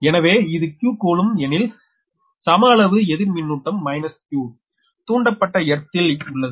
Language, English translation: Tamil, if this has a q coulomb, then an equal amount of negative charge minus q coulomb is induced in your induced earth